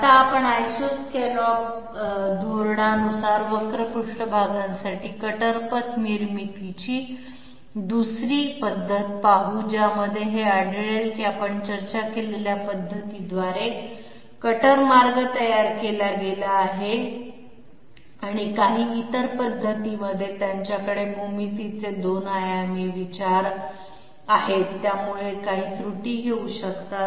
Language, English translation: Marathi, Now we will look at another method of cutter path generation for curved surfaces following the iso scallop strategy in which it was it was observed that the cutter path generated by the method that we have discussed and some other methods, they have 2 dimensional considerations of geometries, which may bring in some errors